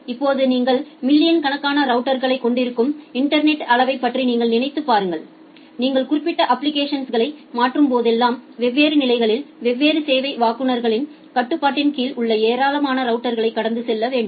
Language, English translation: Tamil, Now you think of the scale of the internet you have millions of routers and whenever you are transferring certain application then it need to pass a large number of routers there under the control of different service providers at different levels